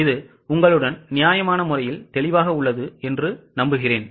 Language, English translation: Tamil, I think it's reasonably clear with you